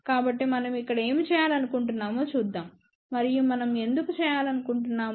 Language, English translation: Telugu, So, let us see what we want to do over here and why we want to do it